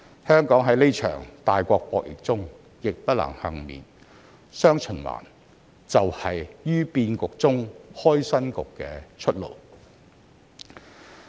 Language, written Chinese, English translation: Cantonese, 香港在這場大國博弈中亦不能幸免，"雙循環"就是"於變局中開新局"的出路。, As Hong Kong cannot be spared from the current jockeying between great powers dual circulation is the path to open up new opportunities under the changing circumstances